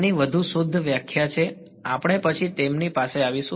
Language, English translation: Gujarati, There are more refined definition of this we will come to them later